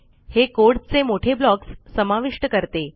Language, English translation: Marathi, It takes large blocks of code